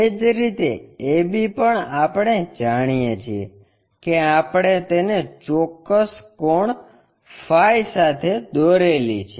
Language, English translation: Gujarati, Similarly, a b also we know true length we construct it, with certain angle phi